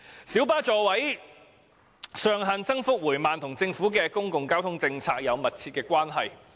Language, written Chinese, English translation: Cantonese, 小巴座位上限增幅緩慢，與政府的公共交通政策有着密切的關係。, The slow rate of increase in the maximum seating capacity of light buses is closely related to the Governments public transport policy